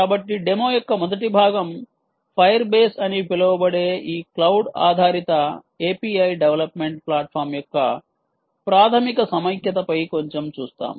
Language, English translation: Telugu, so, first part of the demo, we will see a little bit on the basic ah integration of this cloud based a p i development platform called fire base